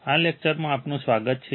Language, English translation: Gujarati, Welcome to this lecture